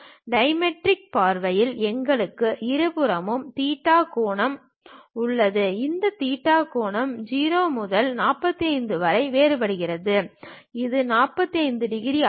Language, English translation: Tamil, In the dimetric view we have theta angle on both sides and this theta angle varies in between 0 to 45 degrees and this is not 30 degrees